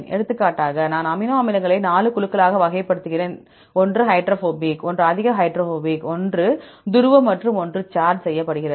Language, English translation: Tamil, For example, I classify the amino acids into the 4 groups right, one is hydrophobic, one is highly hydrophobic and one is the polar and one is charged